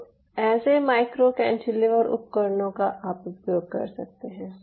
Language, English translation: Hindi, now, on such micro cantilever devices, you can use such